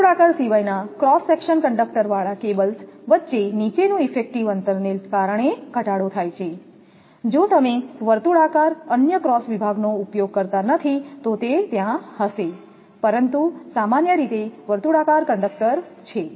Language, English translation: Gujarati, Reduction due to the lower effective spacing between cables with conductors of cross section other than circular; if you do not use circular, other cross section then it will be there, but generally circular conductors